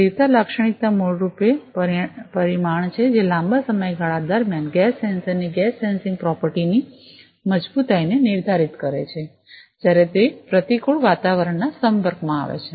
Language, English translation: Gujarati, Stability characteristic is basically the parameter, which determines the robustness in the gas sensing property of a gas sensor in a long duration of time, when it is exposed to hostile ambience